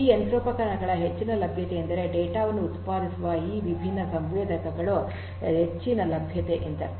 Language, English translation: Kannada, High availability of this machinery means that high availability of these different sensors which produce data